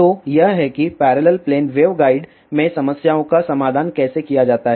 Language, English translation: Hindi, So, this is howthe problems in parallel plane waveguides are solved